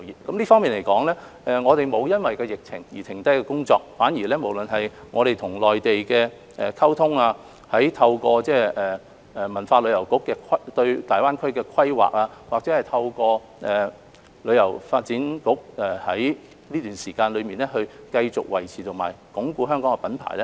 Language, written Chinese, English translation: Cantonese, 就這方面，我們的工作沒有因疫情而停下，反而無論是與內地溝通，透過國家文化和旅遊部對大灣區的規劃，或透過香港旅遊發展局在這段期間內繼續維持和鞏固香港的品牌。, In this regard we have never stopped promoting the industry despite the epidemic . We have communicated with the Mainland and through the planning of GBA formulated by the Ministry of Culture and Tourism and the efforts of the Hong Kong Tourism Board strived to maintain and reinforce the brand of Hong Kong during this period